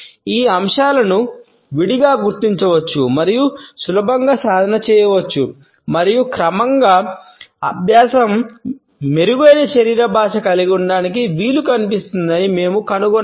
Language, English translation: Telugu, These aspects can be singled out and can be practiced easily and gradually we find that practice enables us to have a better body language